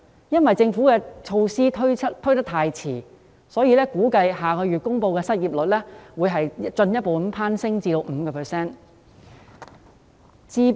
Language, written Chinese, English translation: Cantonese, 由於政府太遲推出措施，因此估計下月公布的失業率會進一步攀升至 5%。, As the Government has been very slow in introducing measures it is expected that the unemployment rate to be announced next month will climb further to 5 %